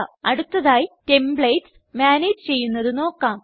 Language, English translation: Malayalam, Next, lets learn how to manage Templates